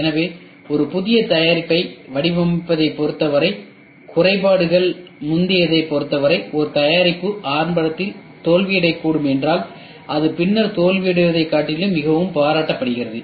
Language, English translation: Tamil, So, as far as designing a new product is concerned earlier the defects, if a product could fail early it is very much appreciated rather than a later failure